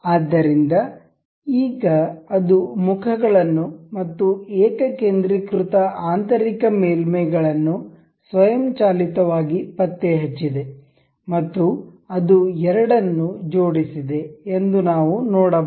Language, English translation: Kannada, So, now, we can see it has automatically detected the faces and the concentric inner surfaces and it has aligned the two